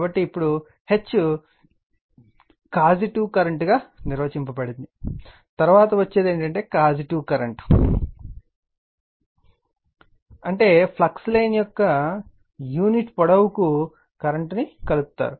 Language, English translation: Telugu, So, now H defined as the causative current, we will come to come later what is causative current, per unit length of the flux line you are enclosing the current right